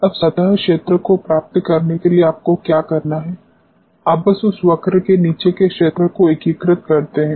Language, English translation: Hindi, Now, what is to be done to get the surface area you simply integrate the area which is below this curve